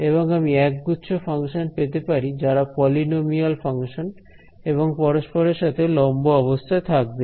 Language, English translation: Bengali, And, I can arrive at a set of functions that are polynomial function which are all orthogonal to each other ok